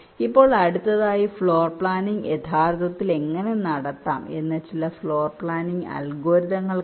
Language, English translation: Malayalam, next we shall be seeing some of the floor planning algorithms, how floor planning can actually be carried out